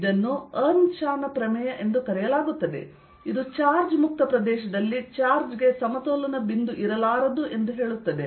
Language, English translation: Kannada, this is know b the way as earnshaw's theorem, that in a charge free region, a charge cannot have an equilibrium point